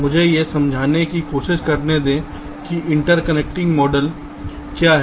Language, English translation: Hindi, ah, let me try to understand what interconnecting model is all about